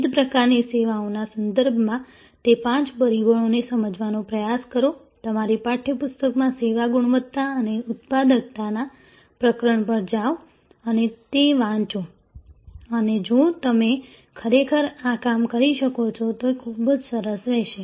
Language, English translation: Gujarati, Try to understand those five factors in terms of the different types of services, go to the chapter on service quality and productivity in your text book and read those and it will be great if you can actually do this exercise